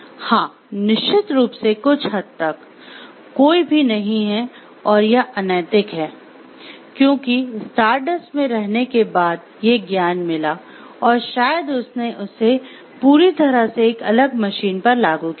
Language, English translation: Hindi, Yes, of course, to certain extent the there is no, and it has been unethical, because without the knowledge of Stardust after living, maybe he has applied it to a different machine altogether